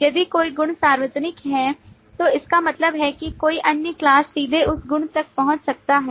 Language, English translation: Hindi, If a property is public, it is meant that any other class can access that property directly